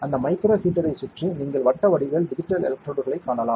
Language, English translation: Tamil, Around that micro heater you can see inter digitated electrodes in a circular fashion